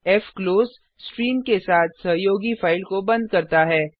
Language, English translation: Hindi, fclose closes the file associated with the stream